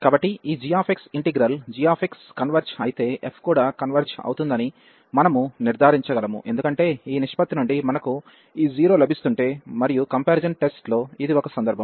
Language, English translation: Telugu, So, if this g x integral g x converges, then we can conclude that the f will also converge, because from this ratio if we are getting this 0 and that was one case in the comparison test